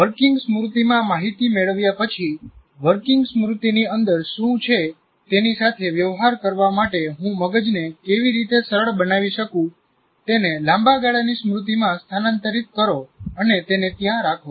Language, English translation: Gujarati, Now having got the information into the working memory, how do I facilitate the brain in dealing with what is inside the working memory and transfer it to long term memory and keep it there